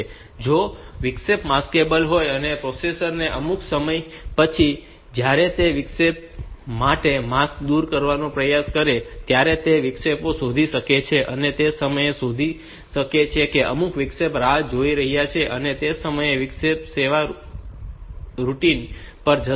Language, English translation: Gujarati, If the interrupt is maskable then the processor may find that interrupts some time later when it tries to remove the mask for the interrupt, and then at that time it fin it may find that some interrupt is waiting, and it will go and go to the interrupt service routine at that times